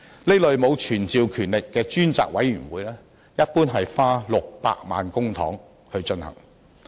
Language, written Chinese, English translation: Cantonese, 這類沒有傳召權力的專責委員會一般花600萬元公帑。, Such kind of select committee without summoning power generally spent 6 million public money